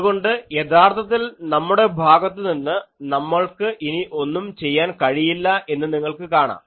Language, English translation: Malayalam, So, actually you see there is nothing to do from our side much